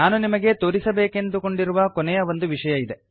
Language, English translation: Kannada, There is one last thing that I want to show you here